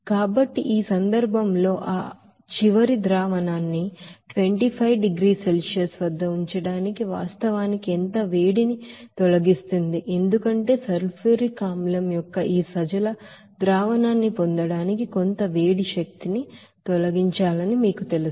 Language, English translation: Telugu, So in this case how much heat would be actually removed to keep that final solution at that 25 degrees Celsius because there you know that some heat energy to be removed to get this dilute solution of the sulfuric acid